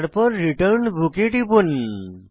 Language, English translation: Bengali, Then click on Return Book